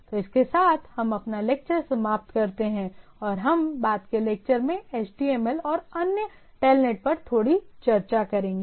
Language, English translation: Hindi, So with this, let us conclude here and we’ll be discussing little bit on HTML and other TELNET in the subsequent lecture